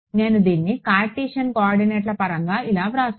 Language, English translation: Telugu, I can write it in terms of Cartesian coordinates like this ok